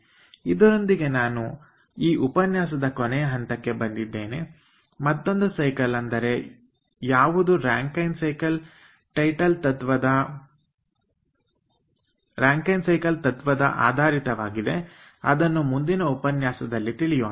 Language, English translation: Kannada, so with this let us come to the end ah um of this lecture, the other cycle, which are based on your ah rankine cycle principle that we will discuss in the coming lecture